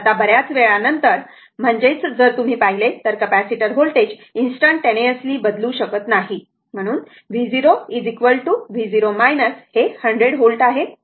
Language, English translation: Marathi, Now, after a long time, I mean if you look into that the since the capacitor voltage cannot change instantaneously, so v 0 is equal to v 0 minus that is 100 volt